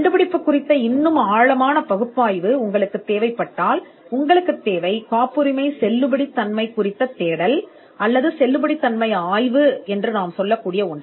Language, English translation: Tamil, If you require a more detailed analysis of the invention, then what is needed is what we called a validity search or a validity study